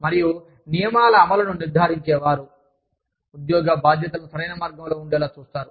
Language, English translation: Telugu, And people, who ensure the implementation of rules, they ensure, that the jobs are done, the right way